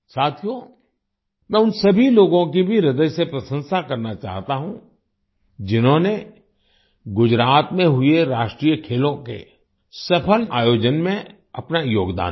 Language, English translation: Hindi, Friends, I would also like to express my heartfelt appreciation to all those people who contributed in the successful organization of the National Games held in Gujarat